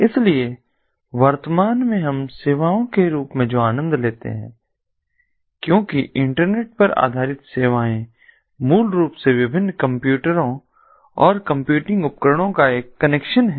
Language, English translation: Hindi, so at present what we enjoy as services, as internet based services, is basically a connection of different computers and computing devices